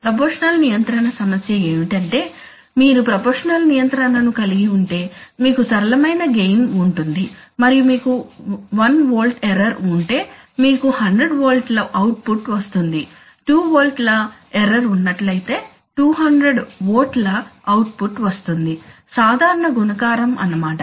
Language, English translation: Telugu, The problem of proportional control is that, if you want to proportional control is just you have a simple gain and if you get an error of 1 volt you generate a maybe an output of 100 volts if you get a 2 volts you generate output of 200